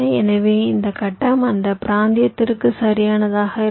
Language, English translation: Tamil, so this grid will be local to that region, right